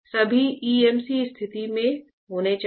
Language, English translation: Hindi, All should be in EMC condition then only